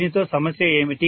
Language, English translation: Telugu, What is the problem with this